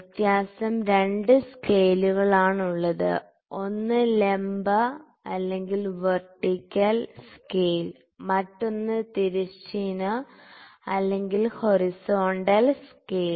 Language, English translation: Malayalam, So, the difference is that it is having 2 scales; one is the vertical scale, another is the horizontal scale, ok